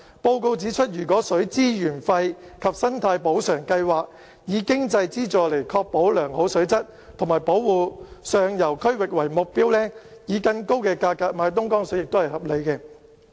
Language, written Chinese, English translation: Cantonese, 報告指出，如果水資源費及生態補償計劃，以經濟資助來確保良好水質及保護上游區域為目標，以更高價格買東江水也是合理的。, The report points out that it would be reasonable to expect Hong Kong to pay an even higher price for this water with the aim of contributing financially through water resource fees and eco - compensation schemes to ensure high water quality and conservation efforts in upland areas